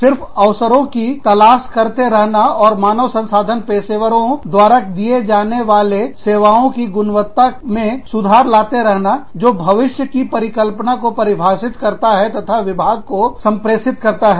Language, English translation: Hindi, Just looking for opportunities, and improving the quality of services, offered by the human resources professionals, that defining a vision for the future, and communicating it to the department